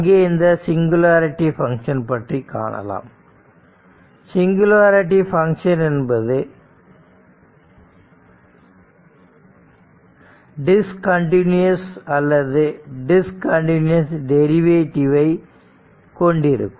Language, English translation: Tamil, So, singularity function are function that either are discontinuous or have discontinuous derivatives right